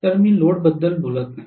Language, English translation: Marathi, So I am not even talking about load